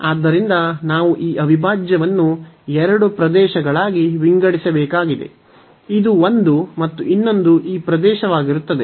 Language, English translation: Kannada, So, we have to break this integral into two regions one would be this one and the other one would be this one